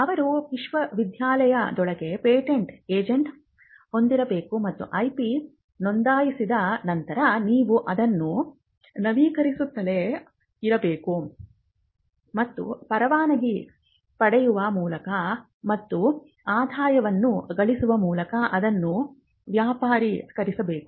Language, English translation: Kannada, They should have a patent agent within the university to do this for them and then you have once the IP is registered then you have to keep renewing it you have to keep enforcing it and commercialize it by earning by licensing it and earning revenue